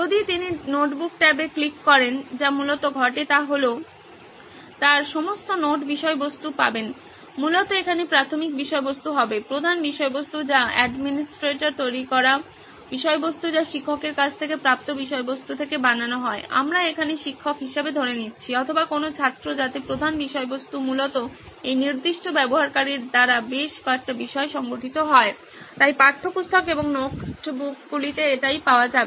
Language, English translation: Bengali, If he clicks on the notebook tab what essentially happens is he will have all his note content essentially the primary content here would be the master content that the administrator has created out of the content that is received from either the teacher, we are assuming teacher here or any of the student, so that master content would essentially be organised into several subjects by this particular user, so that is what would be available in textbooks and notebooks